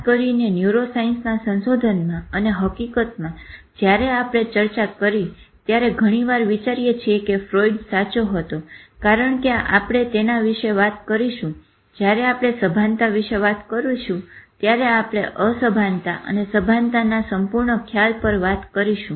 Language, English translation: Gujarati, And in fact, when we discuss, we often think whether Freud was right, because when we talk of consciousness, we will be talking about this whole concept of unconscious and conscious